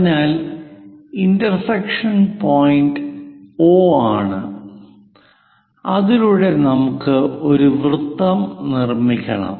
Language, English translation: Malayalam, So, intersection point is O through which we have to construct a circle